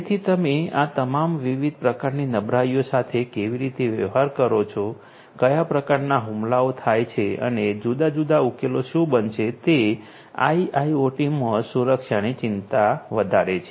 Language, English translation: Gujarati, So, how you are going to deal with all of these different types of vulnerabilities; what are the different types of attacks and what are going to be the different solutions is what concerns security in IIoT